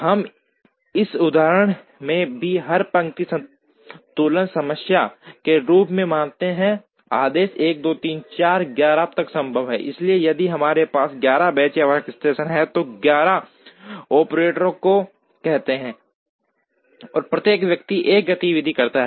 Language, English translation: Hindi, We also assume in this example as an every line balancing problem, there the order 1, 2, 3, 4 up to 11 is feasible, so if we have 11 benches or workstations, which say 11 operators, and each person carries out 1 activity